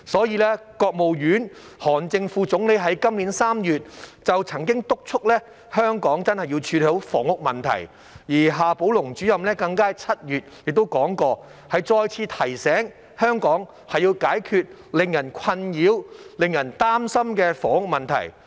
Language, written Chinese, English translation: Cantonese, 因此，國務院韓正副總理於今年3月曾敦促香港真的要處理房屋問題，而夏寶龍主任更於7月再次提醒，香港要解決令人困擾和擔心的房屋問題。, For this reason Vice Premier of the State Council HAN Zheng in March this year urged Hong Kong to really tackle the housing problem and Director XIA Baolong in July reminded us again the need for Hong Kong to solve the troubling and worrying housing problem